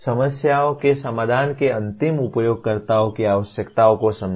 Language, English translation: Hindi, Understand the requirements of end users of solutions to the problems